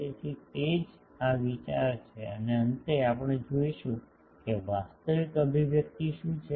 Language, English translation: Gujarati, So, that is the idea and finally, we will see that what is the actual expression